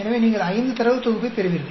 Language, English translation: Tamil, So you will get five data set